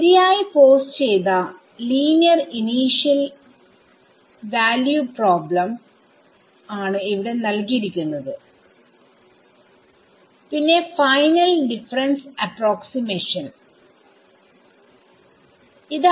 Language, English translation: Malayalam, So, it is given a properly posed initial linear initial value problem and a final difference approximation